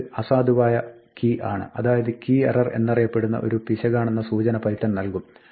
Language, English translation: Malayalam, Well python will signal an error saying that this is an invalid key and that is called a key error